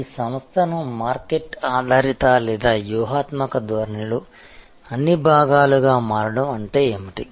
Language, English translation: Telugu, What does it mean to make your organization market oriented or all part of the strategic orientation